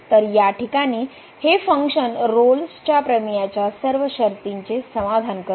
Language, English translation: Marathi, So, in this case this function satisfies all the conditions of the Rolle’s theorem